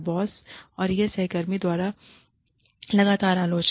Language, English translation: Hindi, Constant criticism, by boss and co workers